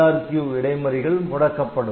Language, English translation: Tamil, IRQ interrupts will be disabled, ok